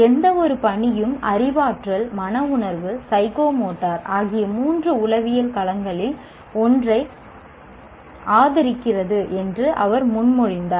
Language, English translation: Tamil, He proposed that any given task favors one of the three psychological domains, cognitive, affective, psychomotor